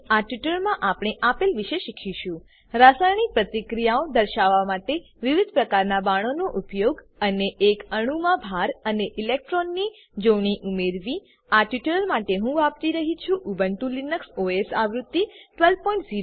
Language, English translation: Gujarati, In this tutorial, we will learn to, * Use different types of arrows to represent chemical reactions and * Add charge and electron pairs on an atom For this tutorial I am using Ubuntu Linux OS version 12.04